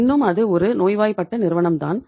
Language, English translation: Tamil, Still it is a sick company